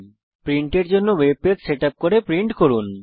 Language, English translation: Bengali, * Setup the web page for printing and print it